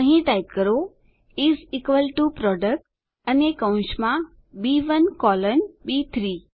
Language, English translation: Gujarati, Here type is equal to PRODUCT, and within the braces, B1 colon B3